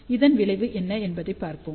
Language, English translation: Tamil, So, let us see what is the result